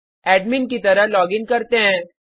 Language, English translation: Hindi, Let us login as the admin